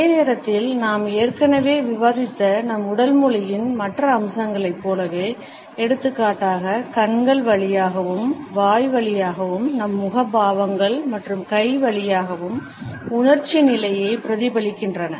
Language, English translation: Tamil, At the same time like other aspects of our body language which we have already discussed, for example, our facial expressions through the eyes as well as through our mouth, our hands also reflect the emotional state